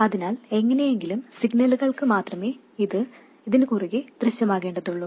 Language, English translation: Malayalam, So, somehow only for signals it should appear across this